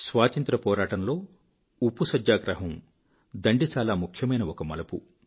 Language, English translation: Telugu, In our Freedom struggle, the salt satyagrah at Dandi was an important turning point